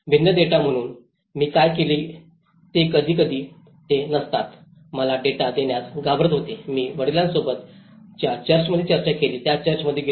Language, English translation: Marathi, So, what I did was sometimes they were not they were hesitant to give me data I went to the church I discussed with the father